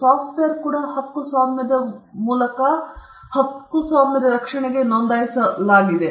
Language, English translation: Kannada, Software code gets registered by way of a copyright